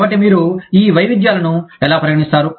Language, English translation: Telugu, So, how do you, account for these variations